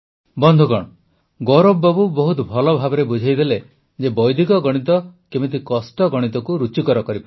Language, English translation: Odia, Friends, Gaurav ji has very well explained how Vedic maths can transform mathematicsfrom complex to fun